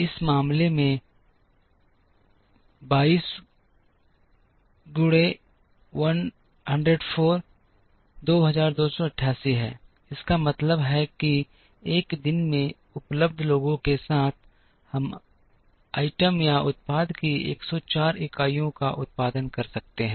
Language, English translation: Hindi, In this case 22 into 104 is 2288, it means that in one day with the people that are available, we can produce 104 units of the item or the product